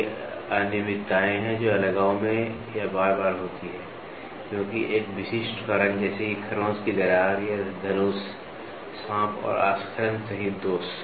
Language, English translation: Hindi, They are irregularities that occur in isolation or infrequently because, of a specific cause such as a scratch crack or a blemishes including bow, snaking and lobbing